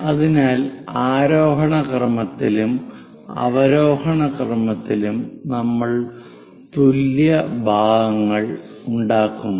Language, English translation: Malayalam, So, in the ascending order and descending order, we make equal number of parts